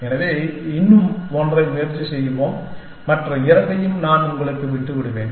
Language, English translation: Tamil, So, let us try one more and I will leave the other two is an exercise for you